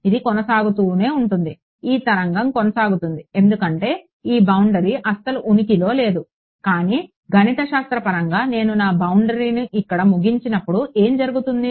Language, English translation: Telugu, It will keep going this wave will keep going because this boundary does not actually exist, but mathematically when I end my boundary over here what will happen